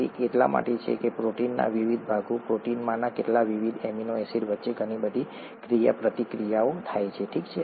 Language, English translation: Gujarati, That is because; there is a lot of interaction that happens between the various parts of the protein, the various amino acids in the protein, okay